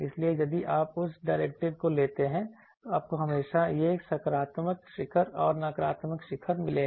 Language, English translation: Hindi, So, if you take that derivative, you will always get this positive peak and negative peak